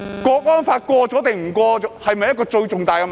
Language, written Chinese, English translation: Cantonese, 國安法通過與否是否最重大的問題？, Is the adoption of the national security law really such a big issue?